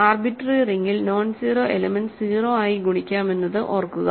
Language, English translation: Malayalam, Remember that in an arbitrary ring to nonzero elements can multiply to 0